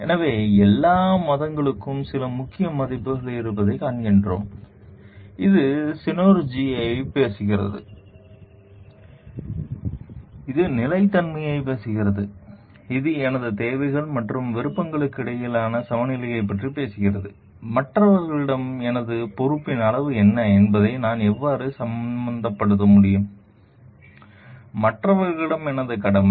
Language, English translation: Tamil, So, we find like all the religions have certain core values, which talks of the like synergy, which talks of sustainability, which talks of balance between the my needs and wants and how I need to what is the my degree of responsibility towards others my duty towards others